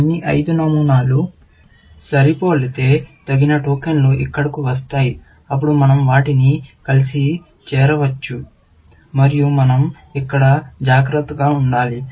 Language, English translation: Telugu, If all the five patterns match, which means, the appropriate tokens come down here, then we can join them together, and we have to be careful here